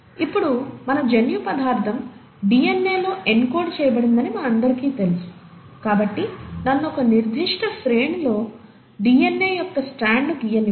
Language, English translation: Telugu, Now, we all know that our genetic material is encoded in DNA, so let me just draw a strand of DNA with a certain sequence